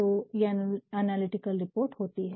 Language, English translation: Hindi, So, these are analytical reports